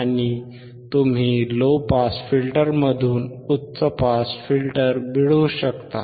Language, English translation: Marathi, And you can get high pass filter from low pass filter